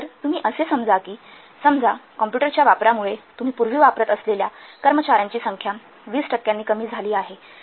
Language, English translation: Marathi, So by this, due to the use of computer, suppose the number of personnel that you are using previously, it is reduced by 20%